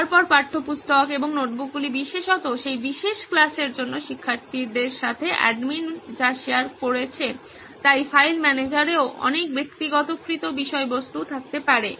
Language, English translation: Bengali, Then textbooks and notebooks would be very particularly what the admin has shared with the students for that particular class, so file manager can have a lot of personalised content as well